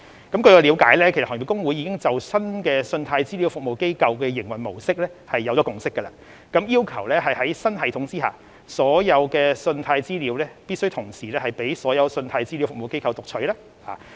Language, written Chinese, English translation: Cantonese, 據我了解，行業公會已就新的信貸資料服務機構的營運模式達成共識，要求在新系統下，所有信貸資料必須同時開放予所有信貸資料服務機構讀取。, As far as I understand it the Industry Associations have already reached a consensus on the new business model of CRAs and will require all credit data be shared among all CRAs under the new system